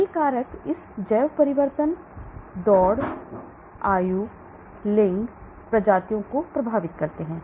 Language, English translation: Hindi, Many factors affect this bio transformation race, age, the sex, the species